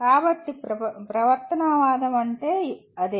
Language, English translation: Telugu, So that is what the behaviorism is